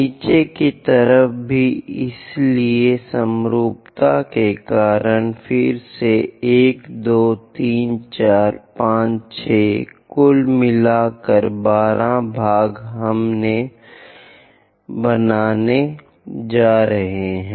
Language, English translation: Hindi, On the bottom side also, so because of symmetry again 1, 2, 3, 4, 5, 6; in total, 12 parts we are going to construct